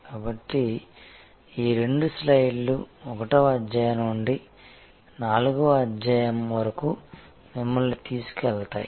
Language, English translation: Telugu, So, these two slides therefore take us from chapter 1 to chapter 4